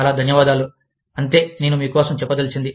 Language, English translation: Telugu, Thank you very much for, that is all, I have for you